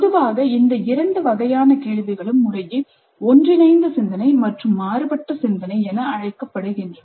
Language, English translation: Tamil, And generally these two types of questions are being called as convergent thinking and divergent thinking respectively